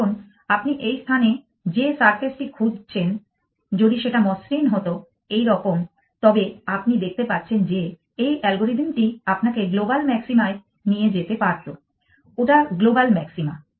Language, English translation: Bengali, Now, if the surface of the that you what in the space that you are searching were to be smooth if the surface was like this then you can see that this algorithm would have taken you to the global maxima that is the global maxima